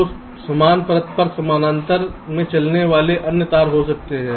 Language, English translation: Hindi, so there can be other wires running in parallel on the same layer